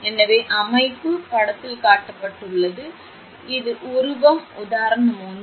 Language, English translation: Tamil, So, the arrangement is shown in figure, this is figure example 1